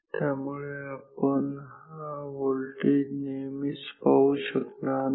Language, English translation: Marathi, So, we cannot see this voltage always